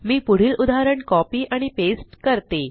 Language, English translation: Marathi, Let me copy and paste the next example